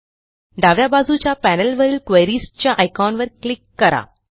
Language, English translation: Marathi, Let us click on the Queries icon on the left panel